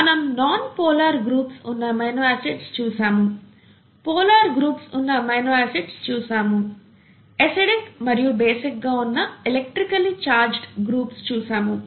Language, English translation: Telugu, So we saw amino acids with nonpolar groups, we saw amino acids with polar groups, and electrically charged groups which could either be acidic or basic, thatÕs good enough